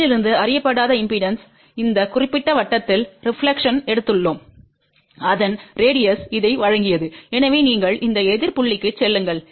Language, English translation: Tamil, From this unknown impedance we took the reflection along this particular circle the radius of that is given by this